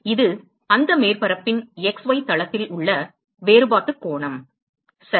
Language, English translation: Tamil, this is the differential angle that is subtended in the x y plane of that surface ok